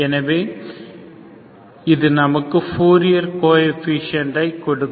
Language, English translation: Tamil, So these are your fourier coefficients